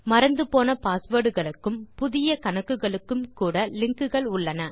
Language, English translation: Tamil, There are also links that recover forgotten password and to create new accounts